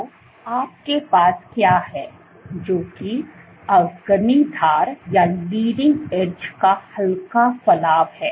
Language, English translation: Hindi, So, what you have, slight protrusion of the leading edge